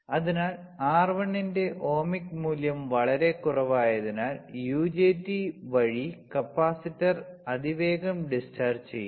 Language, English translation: Malayalam, So, as the ohmic value of R1 is very low, the capacitor discharge is rapidly through UJT the fast rising voltage appearing across R1